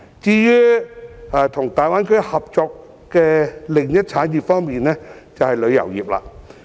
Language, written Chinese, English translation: Cantonese, 至於與大灣區合作的另一產業，就是旅遊業。, Another industry that will be involved in the cooperation with the Greater Bay Area is the tourism industry